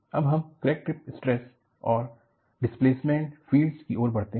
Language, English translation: Hindi, Then, we move on to Crack Tip Stress and Displacement Fields